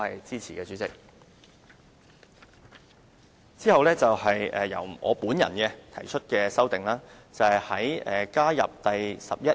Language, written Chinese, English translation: Cantonese, 之後是由我本人提出的修訂，目的是加入第 11A 條。, Then comes the amendment proposed by I myself to add RoP 11A